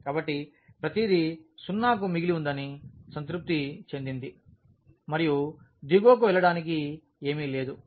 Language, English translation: Telugu, So, it satisfied that everything left to the 0 and there is nothing to go to the bottom